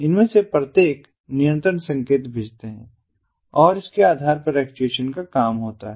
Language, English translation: Hindi, each of these they send control signals and based on that the actuation is going to be performed